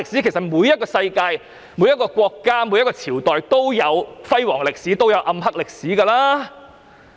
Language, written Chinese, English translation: Cantonese, 其實，世界上每一個國家、每一個朝代都有輝煌歷史，也有暗黑歷史。, In fact the history of every country or every dynasty in the world has its glorious side as well as dark side